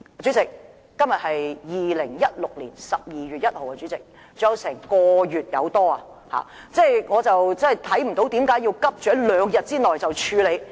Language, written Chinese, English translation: Cantonese, 主席，今天是2016年12月1日，還有1個多月時間，我看不到為何要急於在兩天內處理？, President it is 1 December 2016 today and there is still more than one month left . I cannot see why the matter should be dealt with hurriedly within two days